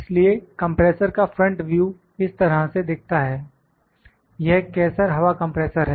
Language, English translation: Hindi, So, the front view of the compressor looks like this, it is Kaeser air compressor